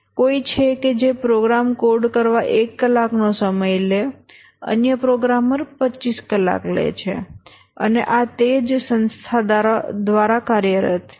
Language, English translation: Gujarati, Somebody who takes one hour to code a program, the other programmer takes 25 hours and these are employed by the same organization